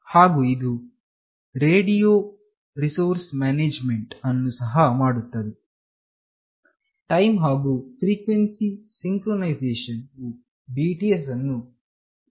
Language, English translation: Kannada, And it also performs radio resource management, time and frequency synchronization signals to BTS